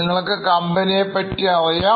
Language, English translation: Malayalam, I hope you know about this company